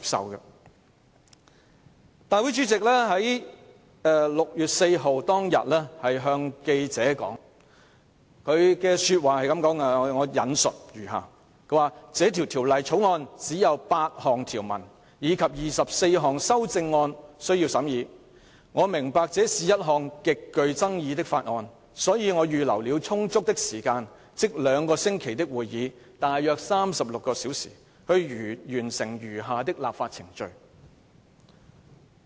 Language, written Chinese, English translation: Cantonese, 我引述立法會主席在6月4日當天向記者說的話："這項《條例草案》只有8項條文，以及24項修正案，我明白這是一項極具爭議的法案，所以我預留了充足的時間，即兩個星期的會議，大約36小時，去完成餘下的立法程序。, Let me quote what the President said to journalists on 4 June The Bill has only eight clauses and 24 amendments . I understand that this Bill is extremely controversial therefore I have reserved sufficient time ie . some 36 hours for meetings of these two weeks to complete the remaining legislative process